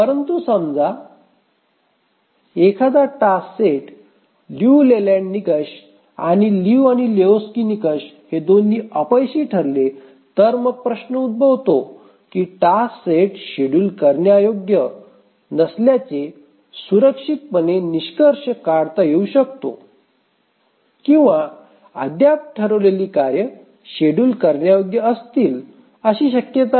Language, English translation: Marathi, But just asking this question that suppose a task set fails the Liu Leyland's criterion and also the Liu and Lehochki's criterion, then can we safely conclude that the task set is unschedulable or is there a chance that the task set is still schedulable